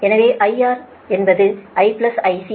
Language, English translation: Tamil, so i is equal to i r is equal to i s, right